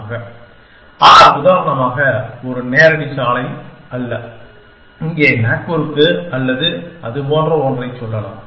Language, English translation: Tamil, But, not for example a direct road from, let say here to Nagpur or something like that